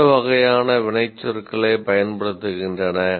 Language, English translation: Tamil, What kind of action verbs do you use